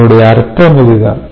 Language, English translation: Tamil, so this is what it means